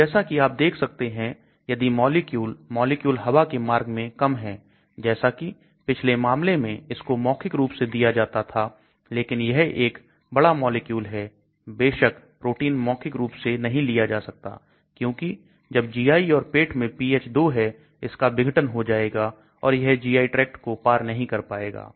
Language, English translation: Hindi, So as you can see if the molecule is smaller, in molecular weight, like in the previous case it can be given oral, but as this is a large molecule obviously protein it cannot be taken in orally because when the pH of 2 in the GI, stomach, it may get degraded and it will also not cross the GI tract